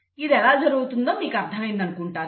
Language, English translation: Telugu, I hope you have understood how this is happening